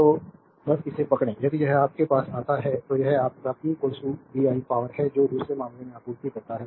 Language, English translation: Hindi, So, just hold on so, if you come to this your, this is your p is equal to VI power supplied the second case right